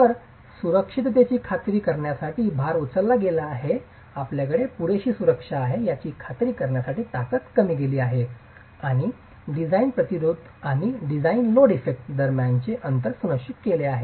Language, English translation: Marathi, So the load is pumped up to ensure safety, the strengths are reduced to ensure that you have sufficient safety and a margin between the design resistance and the design load effect is ensured